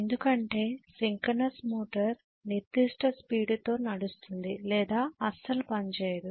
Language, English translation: Telugu, Because synchronous motor will run at particular speed or does not run at all